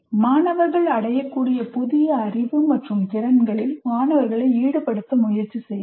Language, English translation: Tamil, Make effort in making the students engage with the new knowledge and skills they are expected to attain